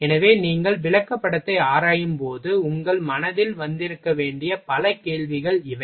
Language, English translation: Tamil, So, these are the several questions you should have arrived in your mind while your you are examining the chart